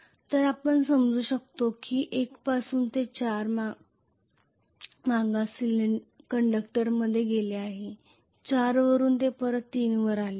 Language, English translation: Marathi, So you can understand that from 1 it has gone into 4 backward conductor, from 4 it has come back to 3